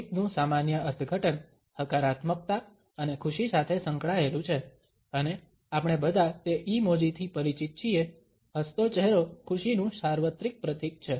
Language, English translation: Gujarati, Normal interpretation of a smile is associated with positivity and happiness, and all of us are aware of that emoji, the smiling face the universal symbol of happiness